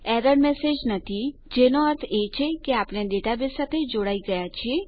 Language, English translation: Gujarati, No error message, which means we are connected to the database